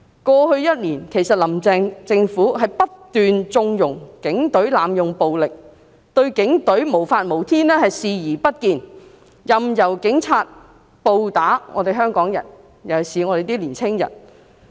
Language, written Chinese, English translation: Cantonese, 過去一年，其實"林鄭"政府不斷縱容警隊濫用暴力，她對警隊無法無天的情況視而不見，任由警察暴打香港人，尤其是年輕人。, Over the past one year the Carrie LAM Government has actually kept conniving at the abusive use of violence by the Police . She has turned a blind eye to the Polices lawless acts allowing the Police to brutally attack Hong Kong people especially young people